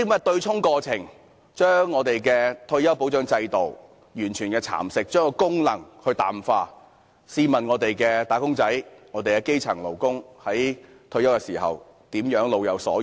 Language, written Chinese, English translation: Cantonese, 對沖過程完全蠶食了退休保障制度，將其功能淡化，試問我們的"打工仔女"和基層勞工在退休時怎能老有所養？, The offsetting process has totally eroded the retirement protection system and weakens its functions . How can our wage earners and grass - roots workers have financial support in their twilight years after retirement?